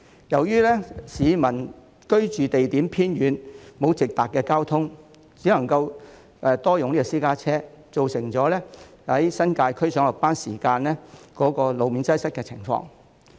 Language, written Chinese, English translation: Cantonese, 由於居所地點偏遠，沒有交通工具直達上班地點，很多新界居民只能夠使用私家車，造成上下班時間往返新界路面擠塞的情況。, Due to the remote location of their homes and the absence of direct transport to their workplaces many residents in the New Territories can only drive causing congestion on the roads to and from the New Territories during busy hours